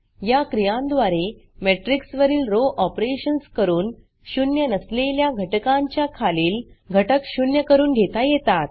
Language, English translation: Marathi, These operations involve executing row operations on a matrix to make entries below a nonzero number, zero